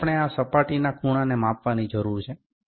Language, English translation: Gujarati, So, we need to measure the angle of this surface